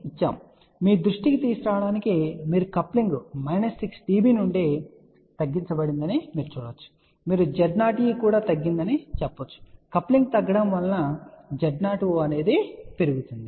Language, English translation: Telugu, So, just to bring to your attention as you can see that coupling is reduced ok from minus 6 to this you can say Z o e is also reducing where as if the coupling reduces Z o o is increasing